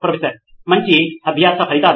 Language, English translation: Telugu, Better learning outcomes